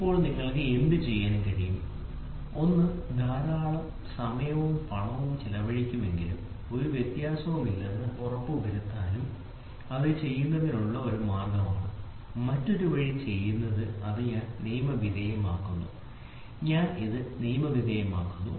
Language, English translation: Malayalam, So, now, what you can do, one you can say I will spend hell a lot of time and money and make sure that there is no variation that is one way of doing it, the other way is doing it is I legalize it, I legalize it fine